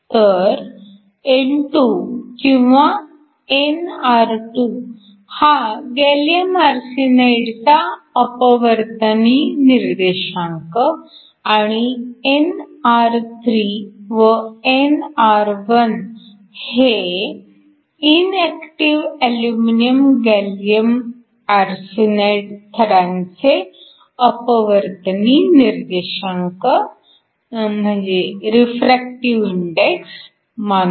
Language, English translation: Marathi, So, let n2 or nr2 be the refractive index of gallium arsenide and nr3 and nr1 be the refractive index of the inactive aluminum gallium arsenide layers